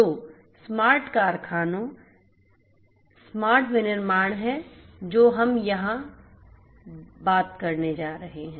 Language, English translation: Hindi, So, smart factories smart manufacturing is what we are going to talk about over here